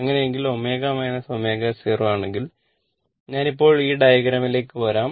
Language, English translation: Malayalam, So, in that case if omega less than omega 0, let me come to this diagram